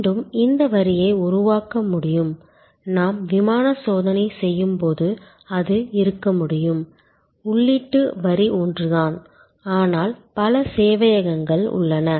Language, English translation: Tamil, And again the line itself can be constructed, that it can be like when we do airline checking, that the input line is the same, but there are multiple servers